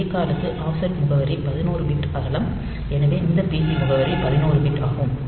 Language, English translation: Tamil, So, a call the offset is address is 11 bit wide, so this pc address is 11 bit